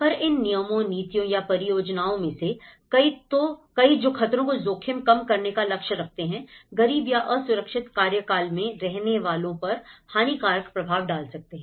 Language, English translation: Hindi, And many of these regulations, policies or projects that aim to reduce risk to hazards can also have detrimental impacts on poor or those living without secured tenure